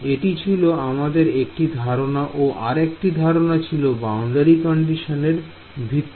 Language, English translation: Bengali, And that is one concept, the other concept was the boundary condition